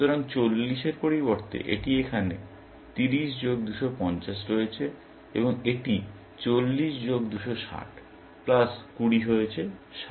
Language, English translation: Bengali, So, instead of 40, this has become 30 plus 250 here, and this has become 40 plus 260, plus 20; 60